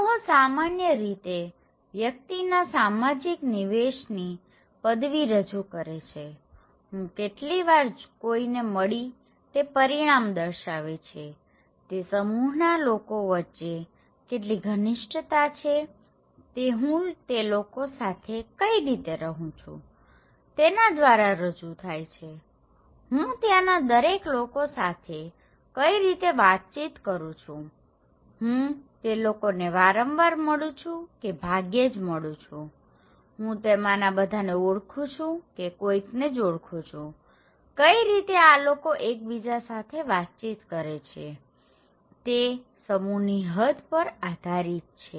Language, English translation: Gujarati, So, group generally represent the degree of social incorporation of the individual, this result how often I am meeting someone, how dense is the network between the members of that group if I am living in the neighbourhood, how I am interacting with each of them, am I meeting them very frequently or very rarely, do I know everyone or do I know some of them so, how this people are interacting with each other, what extent it depends on a group, okay